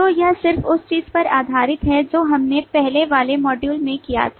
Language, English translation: Hindi, So this is just based on what we did in the earlier module